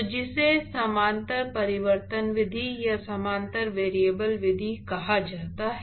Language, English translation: Hindi, So, which is called the similarity transformation method, or similarity variable method